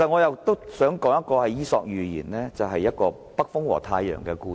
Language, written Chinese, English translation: Cantonese, 我想引用《伊索寓言》中"北風與太陽"的故事。, I would like to quote the story The North Wind and the Sun in Aesops Fables